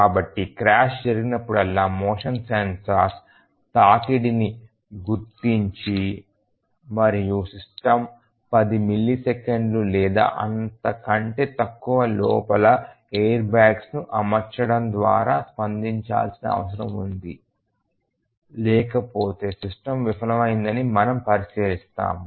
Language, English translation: Telugu, So, whenever there is a automobile crash the motion sensors detect a collision and the system needs to respond by deploying the airbag within ten millisecond or less otherwise we will consider the system to have been failed